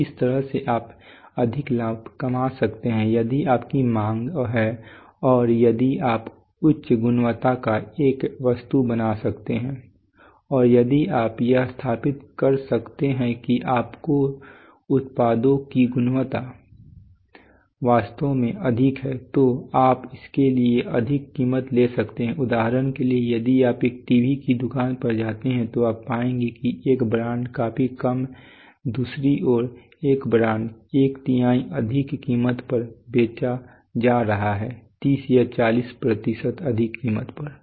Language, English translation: Hindi, So that’s the way you can make more profit on the other hand if you have demand and if you can make an item of a higher quality and if you can establish that your products quality is actually higher then you can charge more price for it and still there will be demand typically typically if you go to a if you go to a TV shop you will find that one brand sells at a significantly not not not less one brand could sell at one third more price thirty percent forty percent more price than the other brand and still people come and buy that brand why